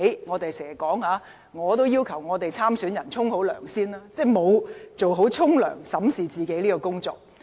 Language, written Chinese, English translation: Cantonese, 我們經常要求參選人先"沖涼"，即做好審視自己的工作。, We often require candidates to get themselves cleaned up first which means they should properly review what they have done